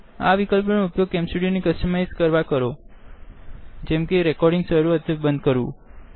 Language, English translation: Gujarati, Use these options to customize the way CamStudio behaves, when it starts or stops recording